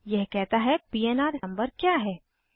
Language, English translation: Hindi, It says what is the PNR number